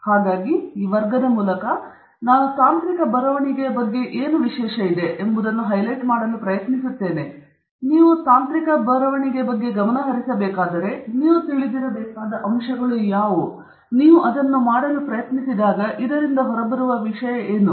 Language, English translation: Kannada, And so, through this class, I will try to highlight, what is special about technical writing, what are aspects that you should be aware of, that you should pay attention to as you do technical writing, so that, it’s something that comes off well when you attempt to do it